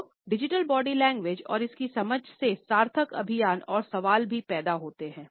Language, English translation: Hindi, So, digital body language and its understanding results in meaningful campaigns and questions also